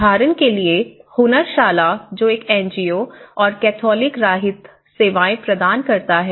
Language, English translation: Hindi, For example, Hunnarshala an NGO and Catholic Relief Services